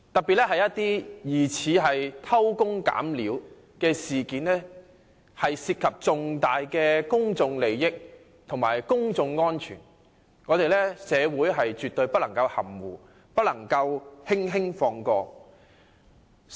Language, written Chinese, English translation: Cantonese, 由於疑似偷工減料的事件涉及重大公眾利益和公眾安全，社會絕對不能含糊，不能輕易放過。, As this incident involves significant public interest and public safety it cannot be handled causally in a slipshod way